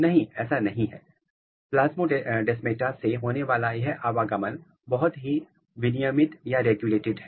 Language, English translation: Hindi, No, the movement through the plasmodesmata is highly regulated